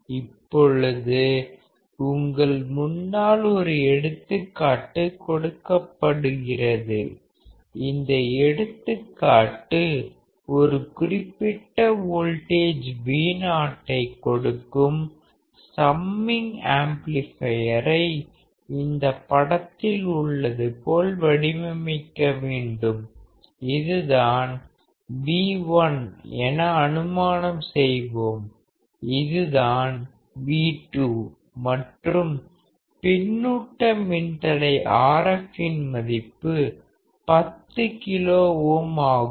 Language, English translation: Tamil, Now, if you are given an example which is over here in front of you; this example is to design a summing amplifier as shown in figure to produce a specific voltage such that Vo equals to this; assume that V1 is this, V2 is this and feedback register RF is of 10 kilo ohm value